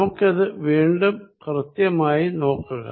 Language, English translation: Malayalam, Let us make it more precise